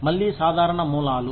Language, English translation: Telugu, Again, usual sources